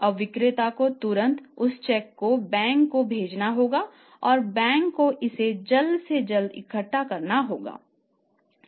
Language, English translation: Hindi, Now seller has to immediately send that check to the bank and bank has to collect it as early as possible